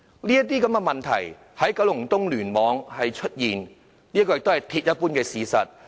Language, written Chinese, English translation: Cantonese, 輪候時間長的問題在九龍東聯網出現，是鐵一般的事實。, It is an irrefutable fact that there is a problem of long waiting time in the Kowloon East Cluster KEC